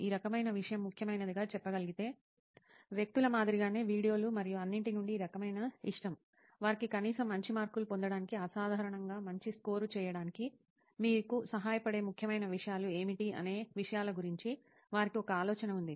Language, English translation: Telugu, Like people who say this kind of thing can be important, this kind of like from videos and all, they have an idea of the things like what are the important things which will help you to at least get good marks, score extraordinarily good